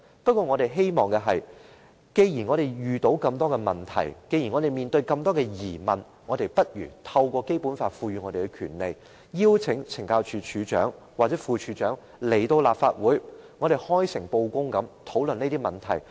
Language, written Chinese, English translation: Cantonese, 可是，我們希望做到的是，既然我們遇到很多問題、面對很多疑問，便應該透過《基本法》賦予我們的權利，邀請懲教署署長或副署長到立法會，開誠布公地討論問題。, We also do not believe that we can change everything overnight . However our objective is that as we face many problems with various queries in mind we should utilize the power conferred on us by the Basic Law to invite the Commissioner of Correctional Services and the Deputy Commissioner to the Legislative Council for a frank and open discussion on the relevant problems